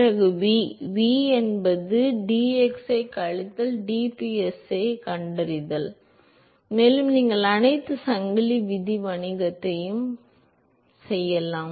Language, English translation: Tamil, Then we need to find v, v is minus dpsi by dx and you can do all the chain rule business